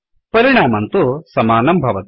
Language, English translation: Sanskrit, The effect is the same